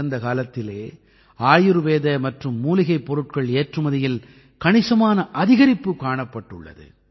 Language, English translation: Tamil, In the past, there has been a significant increase in the export of Ayurvedic and herbal products